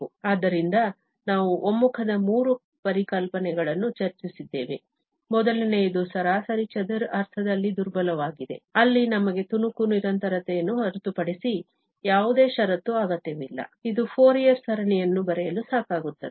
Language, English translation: Kannada, So, we have discussed the three notions of the convergence, the first one is the weaker one in the mean square sense, where we do not need any condition other than piecewise continuity, which is sufficient for writing indeed, Fourier series